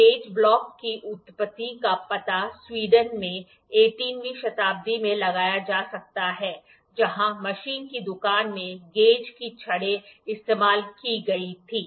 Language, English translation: Hindi, The origin of gauge blocks can be traced to 18th century in Sweden where gauge sticks were found to be used in the machine shop